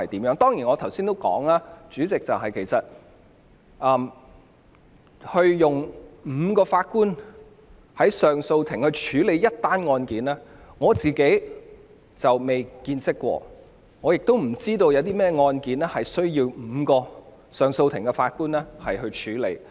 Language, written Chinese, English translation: Cantonese, 我剛才也提到，代理主席，上訴法庭由5名法官同時審理一宗案件的情況，我從未見過，亦不知道有甚麼案件須由5名上訴法庭法官處理。, As I pointed out earlier on Deputy Chairman I have never seen any cases heard by five - JA bench nor have I heard of any case requiring five JAs to handle